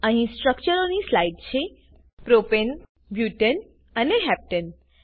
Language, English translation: Gujarati, Here is slide for the structures of Propane, Butane and Heptane